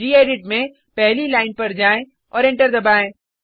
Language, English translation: Hindi, In gedit, go to the first line and press enter